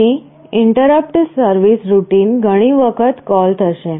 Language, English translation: Gujarati, So, the interrupt service routine will be called so many times